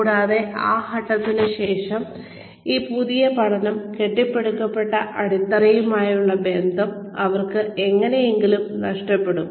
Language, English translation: Malayalam, And, after a point, they somehow, lose touch with the foundation, that this new learning had been built on